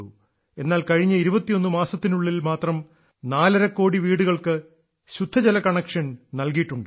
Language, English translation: Malayalam, However, just in the last 21 months, four and a half crore houses have been given clean water connections